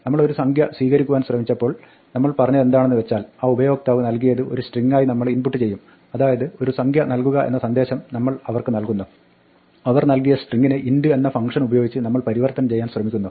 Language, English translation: Malayalam, We were trying to read a number and what we said was that we would input some string that the user provides, so give them a message saying enter the number they provide us with the string and then we try to convert it using the int function